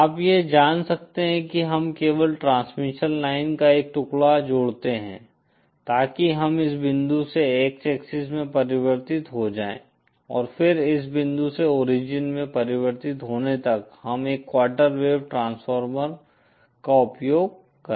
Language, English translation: Hindi, One could be you know we simply add a piece of transmission line so that we are transformed from this point to the X axis and then from transforming to this point to this the origin we use a quarter wave transformer